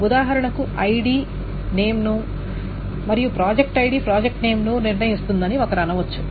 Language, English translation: Telugu, For example, one may say that ID determines name and project ID determines project name